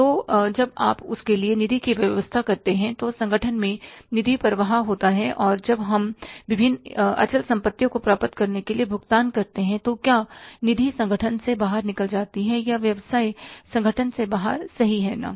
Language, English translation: Hindi, So, when you arrange the funds for that, funds flow in the organization and when we make the payment for acquiring the different fixed assets, funds flow out of the organization, out of the business organization, right